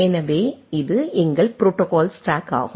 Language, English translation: Tamil, So, this is our protocol stack